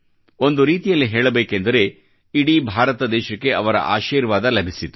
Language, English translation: Kannada, In a way, entire India received his blessings